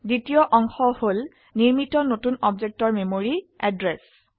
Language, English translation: Assamese, The second part is the memory address of the new object created